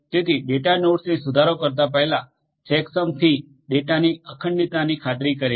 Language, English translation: Gujarati, So, before updating the data nodes would verify that check sums for ensuring the integrity of these data